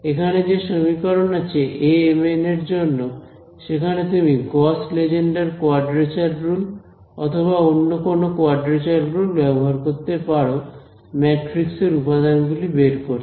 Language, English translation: Bengali, Also this the expression over here for a m n that you can see over here this is where you can use your Gauss Legendre quadrature rules, or any other quadrature rules to evaluate this matrix element